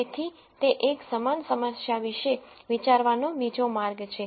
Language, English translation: Gujarati, So that is one other way of thinking about the same problem